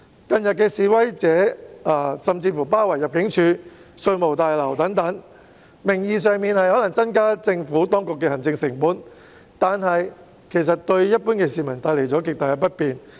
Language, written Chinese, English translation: Cantonese, 近日示威者甚至包圍入境事務大樓及稅務大樓等，名義上是"增加政府當局的行政成本"，但事實上卻為一般市民帶來了極大不便。, In recent days protesters even encircled the Immigration Tower and the Revenue Tower etc claiming that they aimed to increase the administrative costs of the Administration . Yet this has in fact caused great inconvenience to the general public